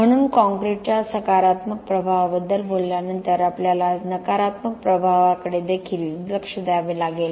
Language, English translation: Marathi, So, having talked about the positive impact of concrete we also have to look at the negative impact